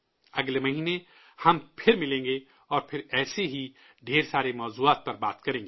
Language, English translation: Urdu, We'll meet again next month, and we'll once again discuss many such topics